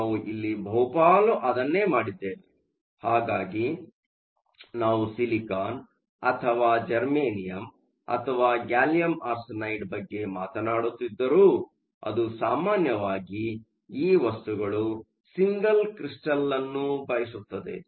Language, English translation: Kannada, Most of what we have done here, so whether we are talking about silicon or germanium or gallium arsenide, it typically wants single crystals of these materials